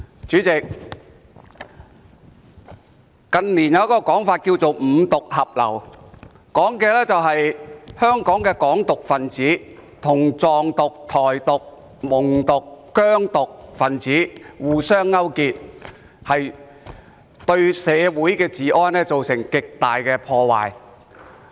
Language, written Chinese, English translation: Cantonese, 主席，近年有一種說法叫"五獨合流"，所指的是香港的"港獨"分子跟"藏獨"、"台獨"、"蒙獨"和"疆獨"分子互相勾結，對社會治安造成極大破壞。, President in recent years there has been a term called the convergence of five independence which refers to the collusion of advocates of Hong Kong independence with advocates of Tibetan independence Taiwan independence Mongolian independence and Xinjiang independence . This has seriously undermined the law and order of society